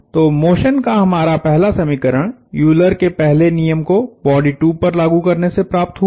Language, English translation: Hindi, So, our first equation of motion came from Euler’s first law applied to body 2